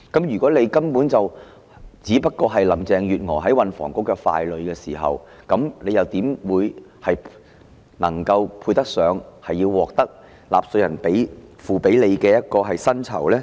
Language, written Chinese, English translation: Cantonese, 如果局長只是林鄭月娥在運房局的傀儡，又怎配得上收取納稅人支付給他的薪酬呢？, If the Secretary is only a puppet of Carrie LAMs in the Transport and Housing Bureau how can he deserve the emoluments paid by taxpayers?